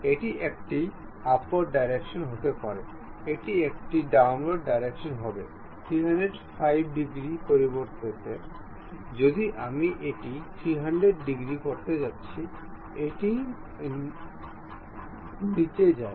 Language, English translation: Bengali, It can be upward direction, it will be downward direction also; instead of 315 degrees, if I am going to make it 30 degrees, it goes down